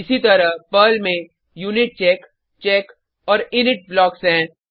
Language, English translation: Hindi, Similarly, PERL has UNITCHECK, CHECK and INIT blocks